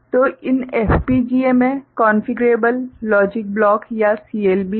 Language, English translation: Hindi, So, these FPGAs consist of Configurable Logic Blocks or CLB ok